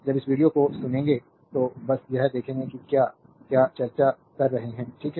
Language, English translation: Hindi, When we will listen this video, right just see that what; what we are discussing, right